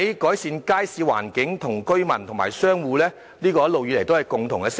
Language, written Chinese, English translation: Cantonese, 改善街市環境，一直以來都是居民和商戶的共同訴求。, Improving the environment of markets has been the common demand of residents and commercial tenants